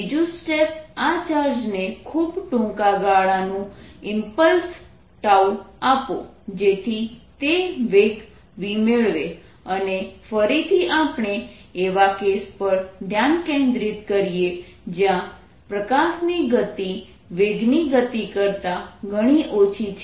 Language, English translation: Gujarati, step two gave and impulse of very short duration, tau to this charge so that it gain a velocity v, and again we want to focus on the cases where the magnitude of the velocity is much, much less then this field of light